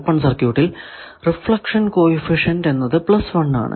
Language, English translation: Malayalam, So, in an open circuit the reflection coefficient is plus 1